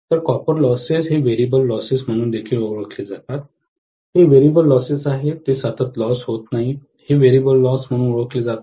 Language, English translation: Marathi, So, these copper losses are also known as the variable losses, these are variable losses, they are not constant loss, this is known as variable loss, right